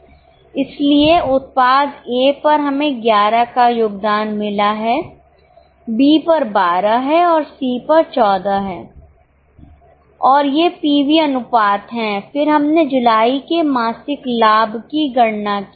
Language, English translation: Hindi, So, on product A, we have a contribution of 11, B it is 12 and C it is 14 and these are the PV ratios